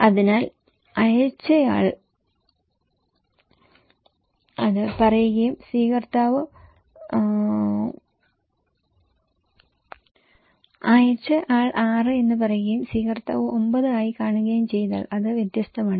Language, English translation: Malayalam, So, if the sender is saying 6 and receiver perceives as 9 is different right